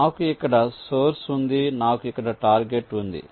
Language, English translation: Telugu, let say i have a source here, i have a target here